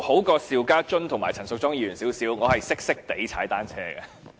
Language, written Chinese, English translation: Cantonese, 與邵家臻議員和陳淑莊議員比較，我稍為優勝，略懂踏單車。, Compared with Mr SHIU Ka - chun and Ms Tanya CHAN I am slightly better as I know a little how to cycle